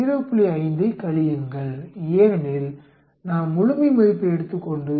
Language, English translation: Tamil, 5 subtract, as you can see I take the absolute value on subtract 0